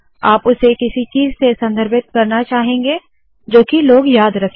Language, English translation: Hindi, You want to refer to it by something that people can remember in talks